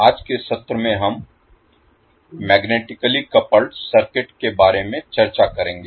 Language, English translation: Hindi, So in today’s session we will discuss about the magnetically coupled circuit